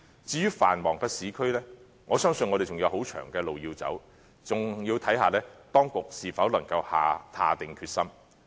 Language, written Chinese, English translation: Cantonese, 至於繁忙的市區，我相信我們仍有很長的路要走，還要視乎當局是否能夠下定決心。, As for the busy urban areas I believe we still have a very long road to go . What is more it also hinges on whether the authorities can drum up the resolve